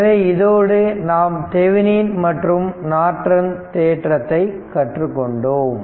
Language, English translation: Tamil, So, with this we have learned Thevenin theorem and Norton theorems